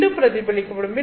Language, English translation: Tamil, The second one also gets reflected